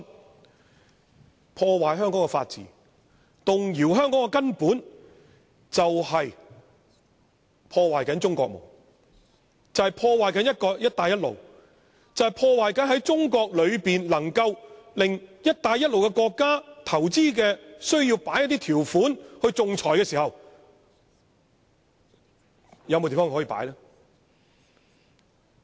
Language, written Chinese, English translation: Cantonese, 那麼，破壞香港法治和動搖香港的根本，就是在破壞中國夢、破壞"一帶一路"、破壞中國內可以讓"一帶一路"國家進行投資仲裁的地方。, In this respect the destroying of Hong Kongs rule of law and the shaking of Hong Kongs foundation are no different from bringing ruin to the China Dream to the Belt and Road Initiative as well as to the China city designated to be the future investment arbitration centre for Belt and Road countries